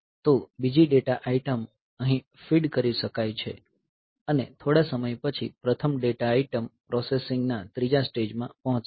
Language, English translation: Gujarati, So, the second data item can be fed here and after some time the first data item will reach the third stage of processing